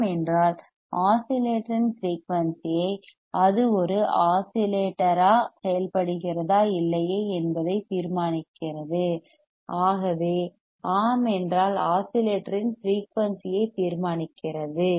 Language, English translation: Tamil, If yes determine the frequency of the oscillator right if it works as a oscillator or not if yes determine the frequency of oscillator